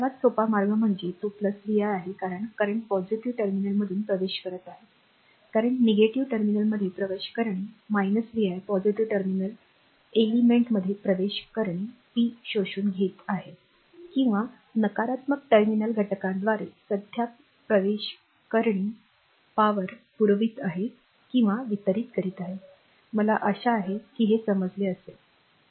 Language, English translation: Marathi, So, it is plus vi, current entering through the negative terminal it is minus vi current entering through the positive terminal element is absorbing power, current entering through the negative terminal element is supplying or delivering power, I hope you have understood this right this is require right